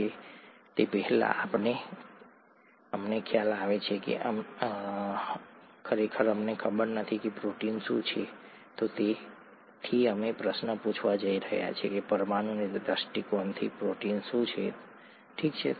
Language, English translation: Gujarati, And before that, we realise we don’t really know what a protein is, and therefore we are going to ask the question, from a molecular point of view, what is a protein, okay